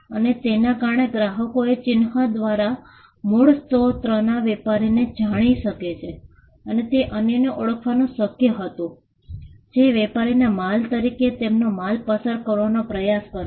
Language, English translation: Gujarati, And because customers know the source of origin through the mark it was possible for the trader to identify others who would try to pass off their goods as the trader’s goods